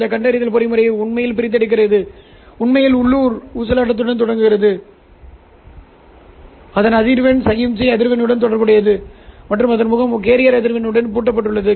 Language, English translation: Tamil, This detection mechanism actually extracts, actually starts with a local oscillator whose frequency is related to the signal frequency and whose face is locked to the carrier frequency